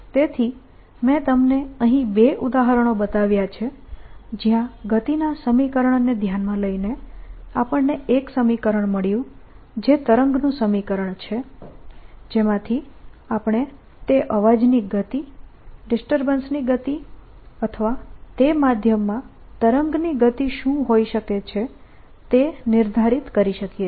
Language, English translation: Gujarati, so i shown you to examples where, by considering the equation of notion, we got an equation, which is the wave equation, from which you can determine the speed of sound, speed of the disturbance, speed of wave in that medium is going to be